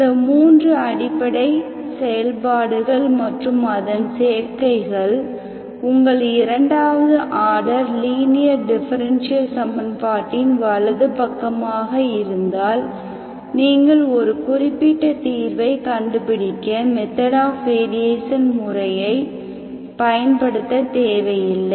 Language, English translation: Tamil, These 3 elementary functions and its combinations if you have is the right hand side to your second order linear differential equation, you can find, you do not need to use method of variation of parameters always to find a particular solution